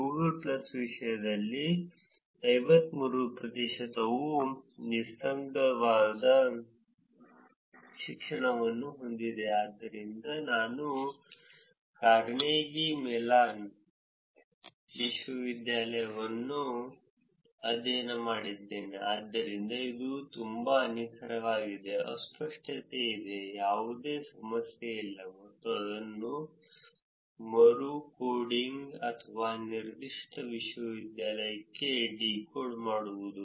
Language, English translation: Kannada, In terms of Google plus, 53 percent has an unambiguous education, so I studied that Carnegie Mellon University, so that is very very precise, there is unambiguity, there is no problem and actually recoding it or decoding it to a specific university